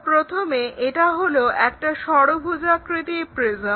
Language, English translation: Bengali, So, first draw a hexagonal prism